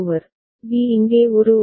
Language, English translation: Tamil, b over here a over there